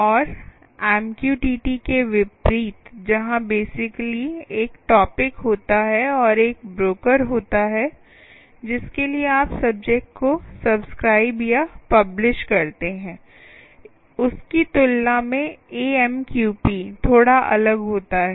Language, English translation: Hindi, ok, and unlike mqtt, where basically there is a topic and there is a broker to which you, you subscribe or publish to the topic, mqp is a little different compared to that